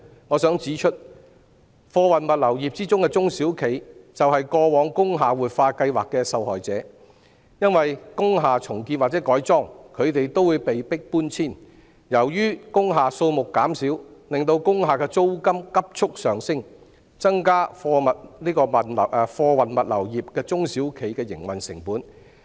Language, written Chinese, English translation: Cantonese, 我想指出，貨運物流業的中小型企業就是過往工廈活化計劃的受害者，因為當工廈重建或改裝時，它們都會被迫搬遷；亦由於工廈數目減少，令工廈的租金急速上升，增加了貨運物流業中小企的營運成本。, I wish to point out that the small and medium enterprises SMEs of the freight logistics sector were the victims of the past revitalization scheme for industrial buildings . Because when the industrial buildings were being reconstructed or converted they would be forced to move out . Besides a rapid rise in rents of industrial buildings due to the decrease in their number has increased the operating costs of SMEs in the freight logistics sector